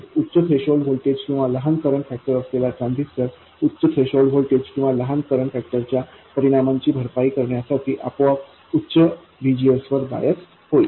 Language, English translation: Marathi, A transistor with a higher threshold voltage or a smaller current factor will automatically get biased with a higher VGS compensating for the effect of the higher threshold or lower current factor